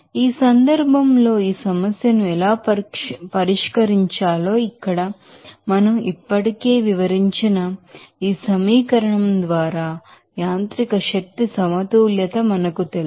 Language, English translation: Telugu, Now, in this case how to solve this problem, we know that mechanical energy balance by this equation here we have already described